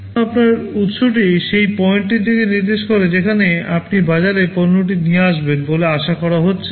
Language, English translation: Bengali, Suppose your origin indicates the point where you are expected to bring the product in the market